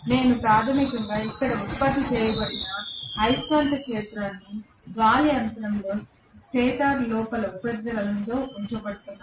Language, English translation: Telugu, I am going to have basically the magnetic field produced here, this is where the magnetic field is going to produced in the air gap, in the inner surface of the stator